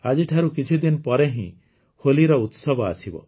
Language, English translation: Odia, Holi festival is just a few days from today